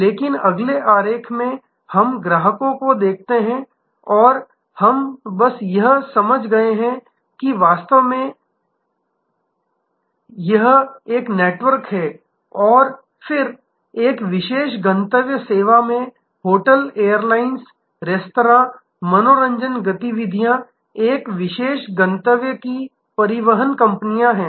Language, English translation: Hindi, But, in the next diagram we look at customers and we have just understood that this itself is actually a network and then, there are hotels, airlines, restaurants, entertainment activities, transportation companies of a particular destination say Goa